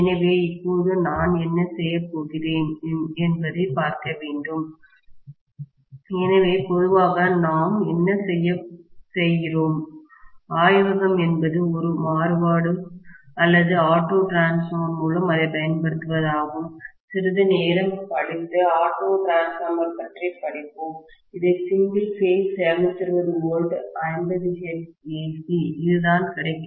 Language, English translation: Tamil, So, now what I am going to do is to apply, so normally what we do in the laboratory is to apply it through a variac or auto transformer, we will study about auto transformer a little bit later but let’s say I am having this as single phase 220 volts 50 hertz AC, this is what is available